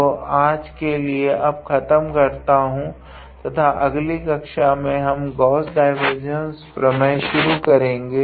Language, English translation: Hindi, So, I will stop here for today now and in our next class we will start with the Gauss divergence theorem